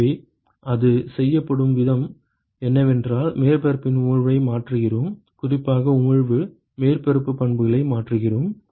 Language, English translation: Tamil, So, the way it is done is, we tweak the emissivity of the surface, particularly emissivity, we tweak the surface properties